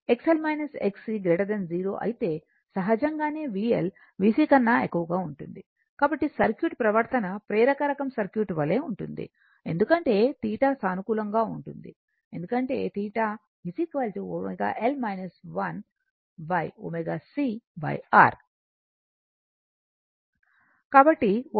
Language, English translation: Telugu, If X L minus X C is greater than 0, then naturally V L will be greater than V C, so that means, circuit behavior is like inductive type circuit, because theta is positive, because theta is equal to omega L minus 1 upon omega c by R